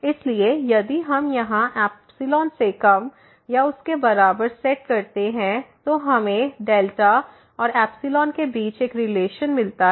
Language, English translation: Hindi, So, if we set here less than or equal to epsilon now, so we get a relation between delta and epsilon